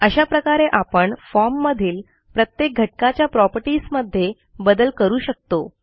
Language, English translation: Marathi, In this way, we can modify the properties of individual elements on the form